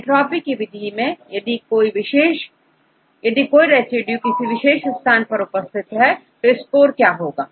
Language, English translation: Hindi, In the case of entropy based method if your particular position is occupied with the same residue what is its score